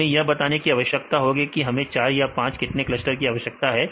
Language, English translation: Hindi, We require to tell we require 4 clusters or 5 clusters or how many clusters we need